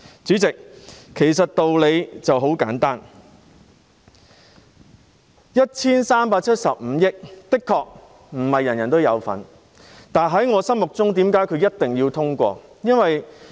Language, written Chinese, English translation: Cantonese, 主席，道理其實很簡單，這 1,375 億元的確不是人人有份，但為何我認為一定要通過呢？, President the reason is actually very simple . It is true that not everyone can benefit from this 137.5 billion but why do I think it must be passed?